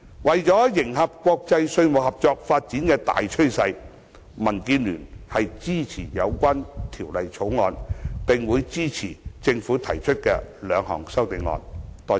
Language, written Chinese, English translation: Cantonese, 為迎合國際稅務合作發展的大趨勢，民建聯支持《條例草案》，並會支持政府提出的兩項修正案。, To keep in tune with the prevailing trend of developments in international tax cooperation DAB supports the Bill and will support the two amendments proposed by the Government